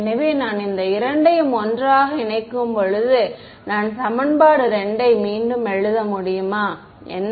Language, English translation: Tamil, So, when I put these two together, what is, can I rewrite equation 2